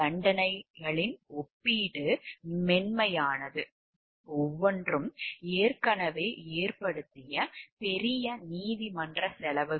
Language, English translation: Tamil, The relative leniency of the sentences was based partly on the large court costs each had already incurred